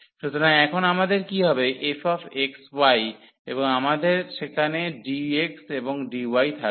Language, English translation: Bengali, So, what we will have now the f x y and we will have dx and dy there